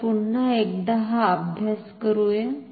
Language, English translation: Marathi, Let us do this exercise once again